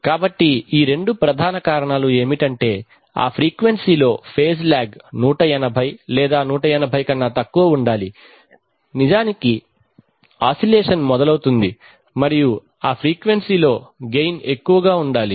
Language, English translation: Telugu, So these are the two major reasons one is that the phase lag should be less than 180 more than 180 or 180 at that frequency actually oscillation starts and the gain at that frequency should be high